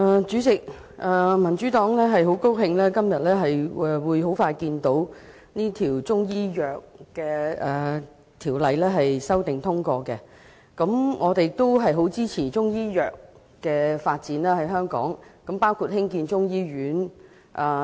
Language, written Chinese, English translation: Cantonese, 主席，民主黨很高興看到今天《2017年中醫藥條例草案》很快便會獲得通過，而我們亦很支持中醫藥在香港的發展，包括興建中醫醫院。, President the Democratic Party is very glad to see that the Chinese Medicine Amendment Bill 2017 the Bill will soon be passed today and we also strongly support the development of Chinese medicine in Hong Kong including the construction of a Chinese medicine hospital